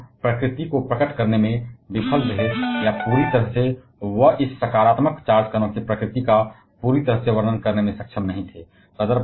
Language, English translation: Hindi, But he failed to reveal the nature or completely he was not able to completely describe the nature of this positively charged particle